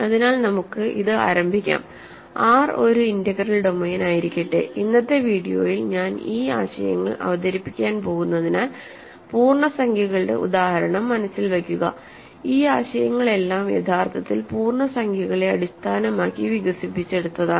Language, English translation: Malayalam, So, let us start with this, let R be an integral domain; as I am going to do this concepts that I will introduce in today’s video, keep in mind the example of the integers, all these concepts are actually developed with integers as the model